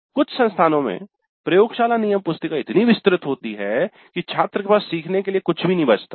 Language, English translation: Hindi, In some cases, some institutes, the laboratory manuals are so elaborate that there is nothing left for the student to learn as such